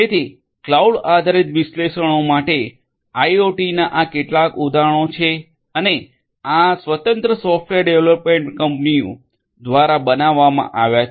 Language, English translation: Gujarati, So, these are few of the other examples of the use of you know cloud based analytics for IoT and these have been developed by independent software development firms